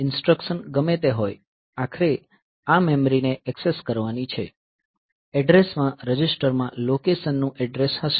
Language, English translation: Gujarati, So, whatever be the instruction if ultimately this memory has to be accessed the address register will contain the address of the location